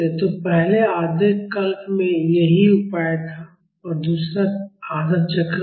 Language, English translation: Hindi, So, this was the solution in the first half cycle this is the second half cycle